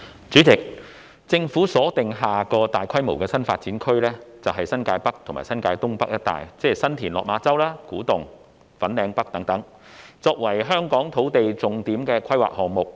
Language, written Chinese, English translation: Cantonese, 主席，政府把下個大規模的新發展區鎖定為新界北及新界東北一帶，即新田/落馬洲、古洞及粉嶺北等，作為香港的重點土地規劃項目。, President the Government has identified the region of New Territories North and North East New Territories ie . San TinLok Ma Chau Kwu Tung and Fanling North for the development of the next large - scale new development area which will become a key land planning project for Hong Kong